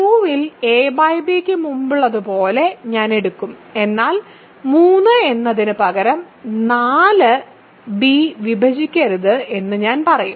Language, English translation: Malayalam, So, I will take as before a by b in Q, but instead of saying 3 does not divide b, I will say 4 does not divide b ok